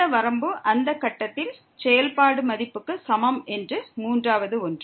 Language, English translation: Tamil, And the third one that this limit is equal to the function value at that point